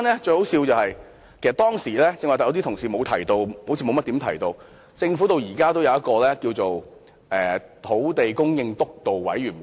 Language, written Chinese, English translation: Cantonese, 最可笑的是，當時......剛才同事好像沒有提及政府中至今仍然存在的土地供應督導委員會。, It was most ridiculous that at that time it seems that just now colleagues have not mentioned the Steering Committee on Land Supply which still exists within the Government